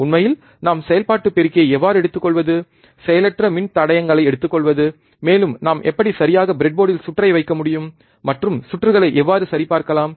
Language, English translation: Tamil, How can we actually take a operational amplifier take this resistors passive components, and how exactly we can we can place the circuit on the breadboard, and how we can check the circuit